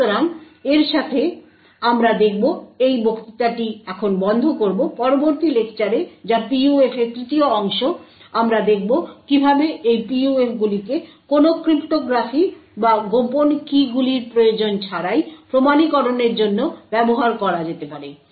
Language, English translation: Bengali, So with this we will stop this lecture, in the next lecture which is a third part of PUF, we will look at how these PUFs could be used to have an authentication without the need for any cryptography or secret keys